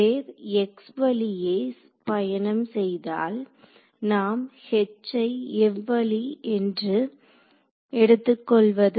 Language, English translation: Tamil, So, which way if the wave is travelling along x, we will take H to be along which direction